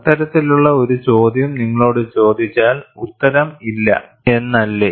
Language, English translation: Malayalam, If you ask that kind of a question the answer is, no